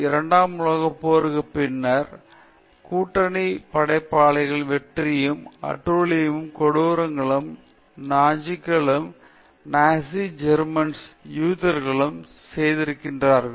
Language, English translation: Tamil, Immediately after the Second World War, with the victory of the allied forces, lot of atrocities and cruelties, the Nazis the Nazi Germans have done to the Jews were exposed